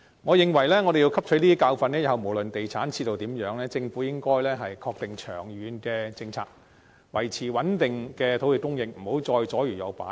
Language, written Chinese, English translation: Cantonese, 我們要汲取教訓，日後無論地產市道為何，政府應該確定長遠政策，維持穩定的土地供應，不得左搖右擺。, We should learn a lesson from that . No matter how the property market will fare in the future the Government should stick to its long - term policy to maintain stable land supply instead of adopting wavering policies